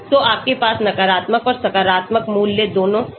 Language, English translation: Hindi, So you can have both negative as well as positive value